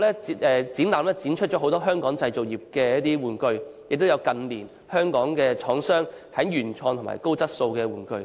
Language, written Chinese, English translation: Cantonese, 這個展覽展出了很多以往在香港製造的玩具，亦有近年香港廠商生產的原創及高質素的玩具。, This exhibition showcased many toys manufactured in Hong Kong in the past as well as the original and high - quality toys produced by Hong Kong manufacturers in recent years